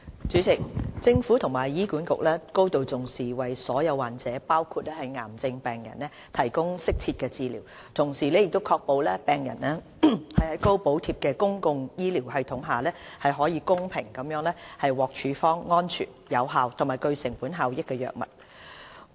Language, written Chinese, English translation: Cantonese, 主席，政府和醫院管理局高度重視為所有患者，包括癌症病人，提供適切治療，同時確保病人在高補貼的公共醫療系統下，可公平地獲處方安全、有效和具成本效益的藥物。, President the Government and the Hospital Authority HA place high importance on providing optimal care for all patients including cancer patients and assuring patients of equitable access to safe efficacious and cost - effective drugs under our highly subsidized public health care system